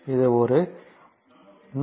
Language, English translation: Tamil, So, it is one 166